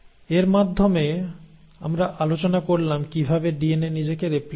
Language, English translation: Bengali, So with that we have covered how DNA replicates itself